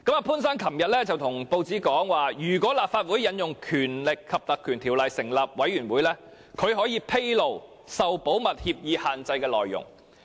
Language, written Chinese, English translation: Cantonese, 潘先生昨天告訴報章，如果立法會引用《條例》成立專責委員會，他可以向專責委員會披露受保密協議限制的內容。, Mr POON told a newspaper yesterday that if the Legislative Council set up a select committee under the Ordinance he could disclose to the select committee things that were subject to the restrictions of the confidentiality agreement